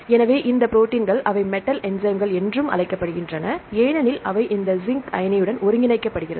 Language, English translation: Tamil, So, these proteins they are also called metal enzymes because they are coordinated with this zinc ion right